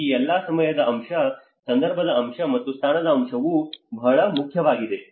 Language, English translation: Kannada, these all the time factor, the context factor and the position factor is very important